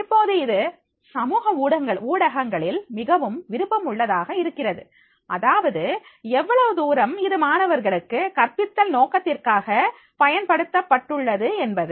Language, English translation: Tamil, Now this is very also interesting that is the social media, how much it had been used for the purpose of the teaching to the students